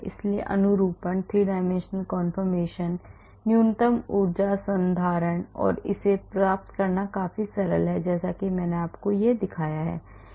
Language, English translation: Hindi, so getting the conformations , 3 dimensional conformations , minimum energy conformation and it is quite simple using a free wares like I showed you this